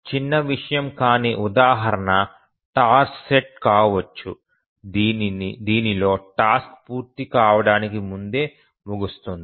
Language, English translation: Telugu, A non trivial example can be a task set in which the task is preempted before completion